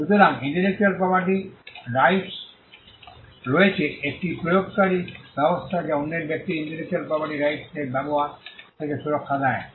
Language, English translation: Bengali, So, there is in intellectual property rights, an enforcement regime which protects others from using a person’s intellectual property rights